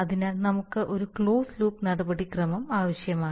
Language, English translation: Malayalam, so we need a closed loop procedure